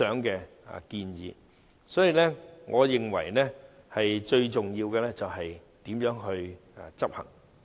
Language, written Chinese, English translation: Cantonese, 所以，我認為最重要的是怎樣執行。, For this reason I think what matters most is how to implement such standards and guidelines